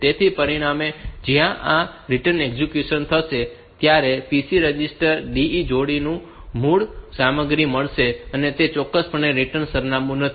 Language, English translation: Gujarati, So, as a result when this return is executed, the PC register will get the original content of the de pair, and which is definitely not the return address